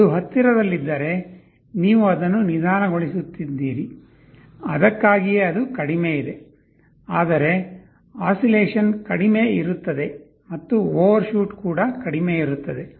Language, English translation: Kannada, If it is closer you make it slower that is why it is lower, but oscillation will be less and also overshoot is less